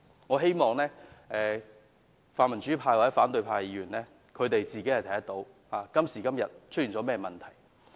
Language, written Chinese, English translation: Cantonese, 我希望泛民主派或反對派的議員能看到出現了甚麼問題。, I hope that the pan - democratic or opposition Members will realize what has gone wrong